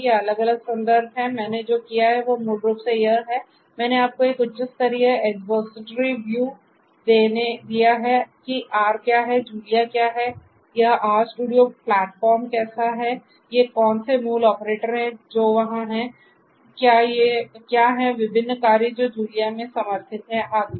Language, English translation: Hindi, These are these different references that what I have done is basically, I have given you a very high level expository view of what is R, what is Julia, how is this R studio platform like, what are these basic operators that are there, what are the different functions that are supported in Julia and so on